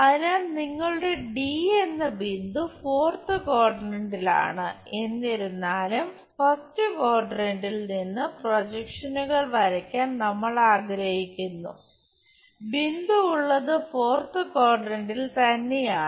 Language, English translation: Malayalam, So, your point D is at fourth quadrant though we would like to draw projections from the first quadrant thing, but the point itself is in the fourth quadrant